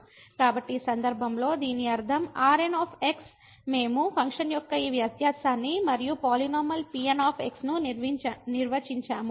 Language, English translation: Telugu, So, in this case what we mean this the we define this difference of the function and the polynomial